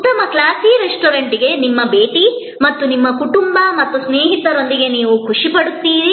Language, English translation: Kannada, Your visit to a good classy restaurant and you are enjoyment with your family and friends